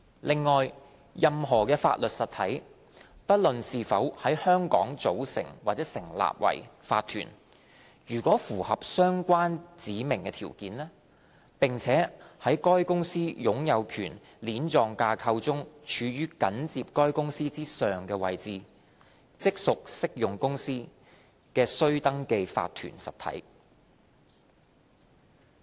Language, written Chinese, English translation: Cantonese, 另外，任何法律實體，不論是否在香港組成或成立為法團，如符合相關指明條件，並且在該公司擁有權鏈狀架構中處於緊接該公司之上的位置，即屬適用公司的須登記法律實體。, Besides a legal entity―whether or not it is formed or incorporated in Hong Kong―is a registrable legal entity of an applicable company if it meets the specified conditions and if it is a legal entity immediately above the company in the companys ownership chain